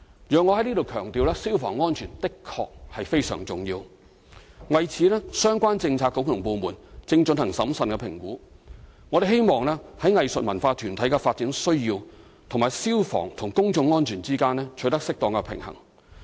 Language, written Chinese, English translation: Cantonese, 容我在此強調，消防安全的確非常重要，相關政策局和部門正就此進行審慎評估，我們希望在藝術文化團體的發展需要和消防與公眾安全之間取得適當平衡。, Here allow me to stress that fire safety is indeed very important . The related Policy Bureaux and departments are now making a prudent assessment . We wish to strike a suitable balance between the development needs of cultural and arts groups and fire and public safety